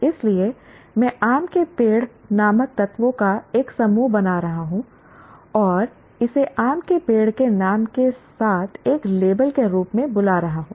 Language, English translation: Hindi, So, I am grouping a set of elements called mango trees and calling it as a label called mango tree